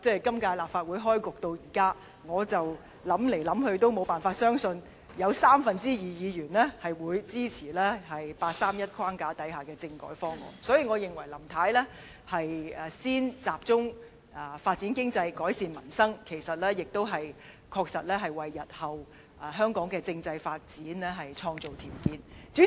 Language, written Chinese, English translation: Cantonese, 今屆立法會開局至今，不管我怎樣想象，也無法相信會有三分之二議員支持八三一框架之下的政改方案，所以我認為林太先集中發展經濟、改善民生，其實也確實為香港日後的政制發展創造條件。, In light of the developments since the beginning of the current legislative session I cannot really fancy any chance that we can secure a two - third majority support of Members to approve a constitutional reform package based on the 31 August Decision . So by focusing on economic development and improvement of the peoples livelihood Mrs LAM is indeed creating conditions for Hong Kongs future constitutional development